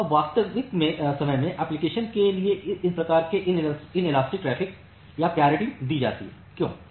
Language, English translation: Hindi, Now, these kinds of inelastic traffic are preferred for real time applications, so why